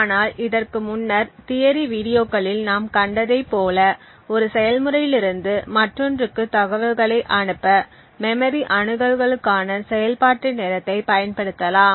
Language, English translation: Tamil, But what we will see in as we have seen in the theory videos before, we could use the execution time for a memory access to pass on information from one process to the other